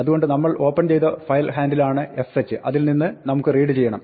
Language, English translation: Malayalam, So, fh is the file handle we opened, we want to read from it